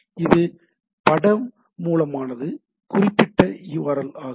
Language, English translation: Tamil, So, it is image source is the particular url